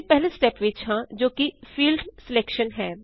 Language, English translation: Punjabi, We are in step 1 which is Field Selection